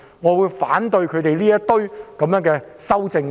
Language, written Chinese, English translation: Cantonese, 我反對他們提出的修正案。, I oppose the amendments proposed by them